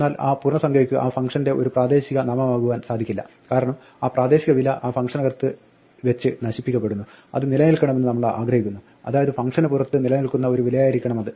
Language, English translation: Malayalam, But that integer cannot be a local name to the function because that local value will be destroyed in the function, we want it to persist, so it must be a value which exists outside the function